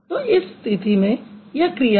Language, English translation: Hindi, So, in that case, that's a verb